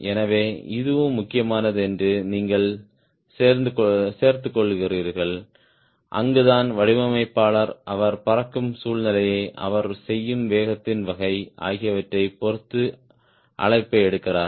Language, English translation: Tamil, this is important, right, and that is where the designer takes a call, depending upon type of situation he is flying, type of speed he is doing